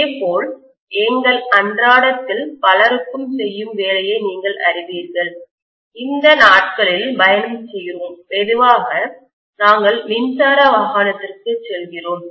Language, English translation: Tamil, Similarly many of our day to day you know work that we do, commuting these days, slowly we are moving to electric vehicle